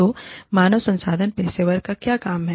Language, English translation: Hindi, So, what is the work of the human resource professional